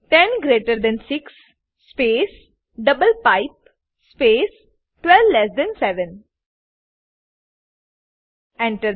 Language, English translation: Gujarati, 10 greater than 6 space double pipe space 12 less than 7 Press Enter